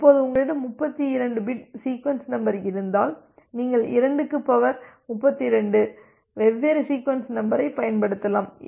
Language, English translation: Tamil, Now, if you have a 32 bit sequence number then you can used to 2 to the power 32 different sequence numbers